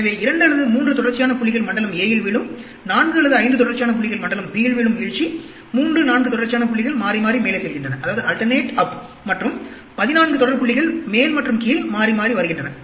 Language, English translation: Tamil, So, 2 or 3 consecutive points fall in zone a, 4 or 5 consecutive point fall in zone b, 3, 4 consecutive points alternate up and… There are 14 consecutive points that alternate up and down